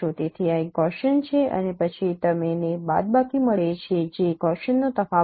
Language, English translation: Gujarati, So this is a Gaussian and then you get the subtraction that is the difference of Gaussian